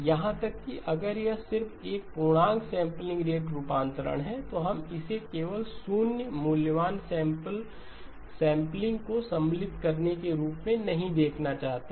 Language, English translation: Hindi, Even if it is just an integer sampling rate conversion we prefer to look at it not just as inserting of 0 valued samples